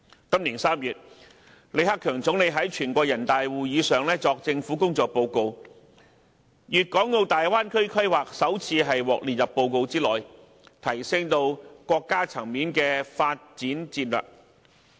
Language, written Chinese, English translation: Cantonese, 今年3月，李克強總理在全國人大會議上作政府工作報告，粵港澳大灣區規劃首次獲列入報告之內，提升至國家層面的發展戰略。, In the annual sessions of the National Peoples Congress NPC in March this year when Premier LI Keqiang presented the government work report to NPC the development plan for the Guangdong - Hong Kong - Macao Bay Area was elevated to the level of national development strategy and included for the first time